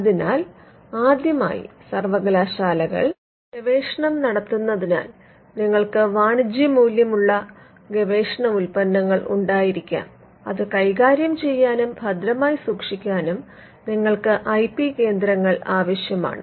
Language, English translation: Malayalam, So, the first aspect is because universities do research you may have products of research that could have commercial value and you need IP centres to manage and to capture that